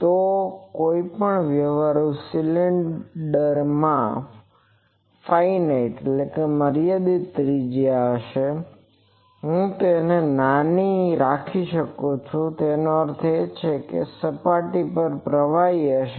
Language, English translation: Gujarati, So, any practical cylinder will have a finite radius I can keep it small, but that means on the surface there will be currents